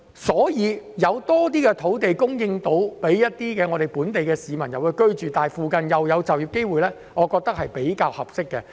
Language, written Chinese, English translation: Cantonese, 因此，如果能夠提供更多土地予本地市民居住，而附近又有就業機會，我認為是比較合適的。, Thus I would consider it a more appropriate approach to provide more land to accommodate the local people and provide job opportunities in the surrounding area